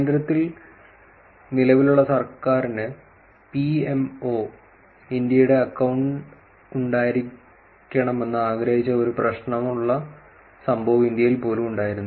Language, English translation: Malayalam, There was an incident even in India when the current government in central wanted to have an account there was an issue of PMO India